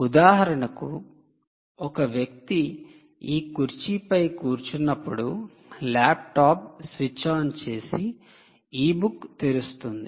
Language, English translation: Telugu, for instance, ah, when the person sits on this chair, the laptop switches on and opens the e book